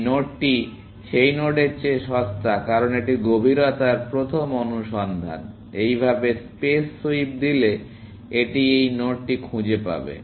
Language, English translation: Bengali, This node is cheaper than that node, because it being depth first search, sweeping the space like this, it will find this node